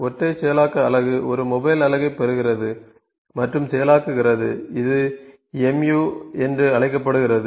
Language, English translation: Tamil, Single processing unit receives and processes a single mobile unit, it is known as MU mobile unit